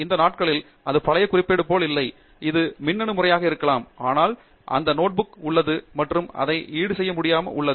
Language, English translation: Tamil, It may not be a physical note these days, it might be electronic for some people, but there is those notebook and it is irreplaceable